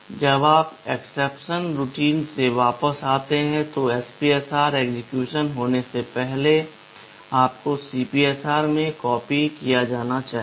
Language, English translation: Hindi, When you come back from the exception routine the SPSR has to be copied backed into CPSR before you resume execution